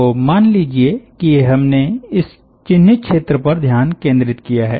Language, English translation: Hindi, so let us say that we have focused attention on this identified region